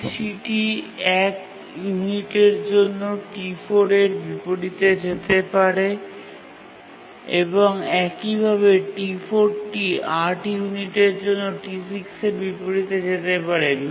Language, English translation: Bengali, So, T3 can undergo inversion on account of T4 for one unit, and similarly T4 can undergo inversion on account of T6 for 8 units